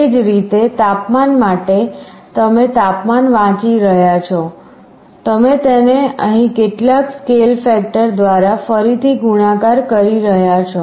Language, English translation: Gujarati, Similarly for the temperature you are reading the temperature, you are again multiplying it by some scale factor here